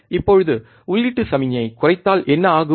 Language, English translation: Tamil, Now, if what happens if we decrease the input signal